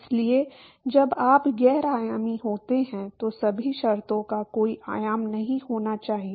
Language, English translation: Hindi, So, when you non dimensional all the terms should have no dimension right